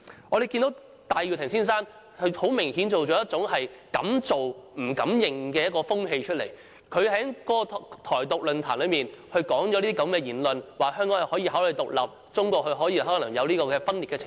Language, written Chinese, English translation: Cantonese, 我們看見戴耀廷先生很明顯地造成了一種"敢做不敢認"的風氣，他在台獨論壇上發表了這種言論，說香港可以考慮獨立，中國可能出現分裂的情況。, We can see that Mr Benny TAI has obviously set a trend of dare do but dare not admit . He voiced this sort of opinion in a forum on Taiwan independence saying that Hong Kong could consider independence and that the scenario of a break - up may occur in China